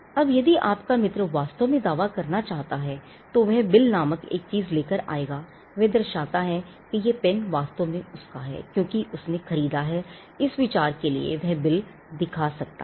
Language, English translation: Hindi, Now if your friend wants to really make a claim, he would come up with something called a bill, showing that this pen is actually mine, because I purchased is for consideration, he could produce a bill